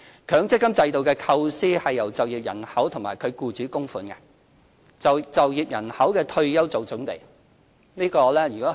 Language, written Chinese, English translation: Cantonese, 強積金制度的構思是由就業人口及其僱主作供款，為就業人口的退休作準備。, The MPF System aims to prepare for the retirement of members of the working population through contributions made by themselves and their employers